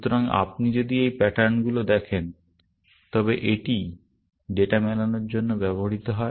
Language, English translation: Bengali, So, if you look at these patterns, this is what is used for matching the data